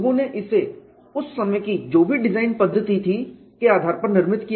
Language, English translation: Hindi, People built it based on what were the design methodologies that they had at that point in time